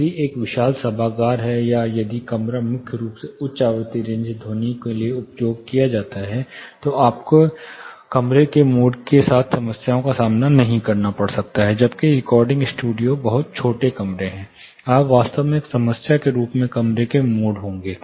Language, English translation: Hindi, If it is a huge auditorium, or if the room is primarily used for, you know made a high frequency range sounds you may not be facing problems with room modes, but whereas, recording studios are very small rooms, you will actually be finding room modes is a problem